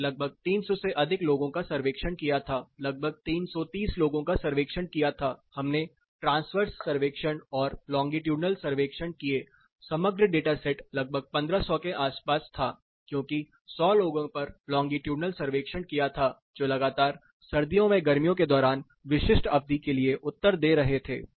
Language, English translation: Hindi, We did a survey of about 300 plus about 330 people were surveyed, there were short term surveys like transverse surveys, they were longitudinal survey the overall data set was something like 1500 around 1500 numbers data sets were there because longitudinal about 100 people were answering again and again and for specific duration during summer during winter